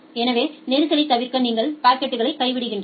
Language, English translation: Tamil, So, to avoid the congestion you drop the packet